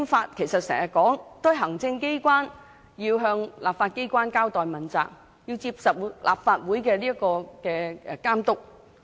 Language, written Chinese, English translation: Cantonese, 我們時常說行政機關要向立法機關交代和問責，並接受立法會監督。, We often say that the executive authorities shall be answerable and accountable to the legislature and subject to monitoring by the Legislative Council